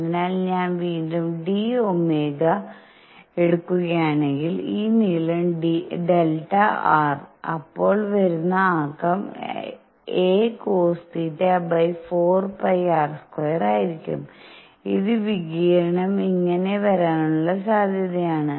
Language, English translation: Malayalam, So, if I take again in d omega; this length delta r; then the momentum coming in is going to be a cosine theta over 4 pi r square, which is probability of the radiation coming this way